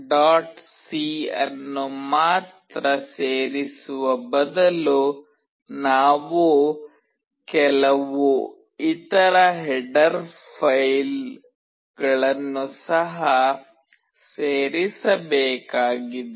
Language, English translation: Kannada, c, we also need to include few other header files